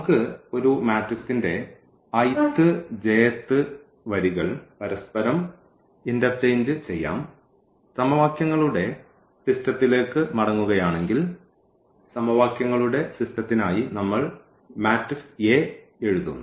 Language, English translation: Malayalam, So, we can interchange the i th and the j th row of a matrix and if going back to the system of equations because for the system of equations we are writing the matrix A